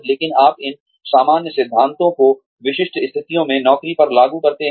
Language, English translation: Hindi, But, you apply these general principles, to specific situations, on the job